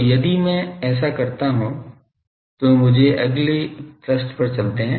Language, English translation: Hindi, So, if I do this then let me go to the next page